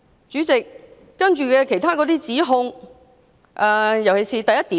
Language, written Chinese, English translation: Cantonese, 主席，我先說議案詳情的第一點。, President let me start with the first point of the details of the motion